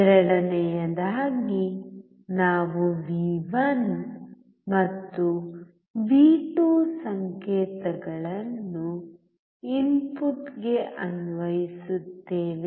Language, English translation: Kannada, Second we apply signals V1 and V2 to input